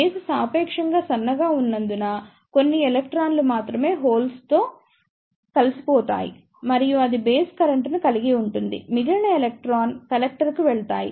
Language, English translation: Telugu, Since, base is relatively thin only few electron will combine with the holes and that will constitute the base current; rest of the electron will pass to the collector